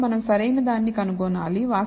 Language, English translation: Telugu, So, we need to find out right